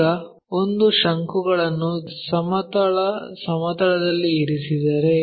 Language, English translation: Kannada, Now, if a cone is resting on a horizontal plane